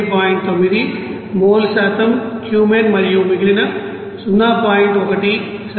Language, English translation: Telugu, 9 mole percent Cumene and remaining 0